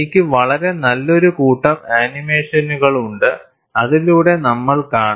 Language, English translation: Malayalam, I have very nice set of animations and we will see through that